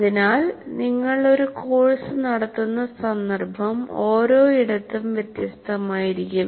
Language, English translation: Malayalam, So the context in which you are conducting a course will be different from one place to the other